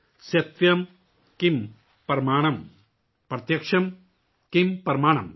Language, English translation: Urdu, Satyam kim pramanam, pratyaksham kim pramanam